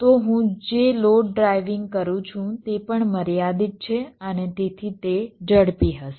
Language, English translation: Gujarati, so the load it is driving also gets limited and hence it will be fast